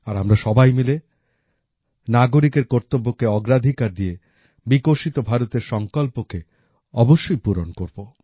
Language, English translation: Bengali, And together we shall certainly attain the resolve of a developed India, according priority to citizens' duties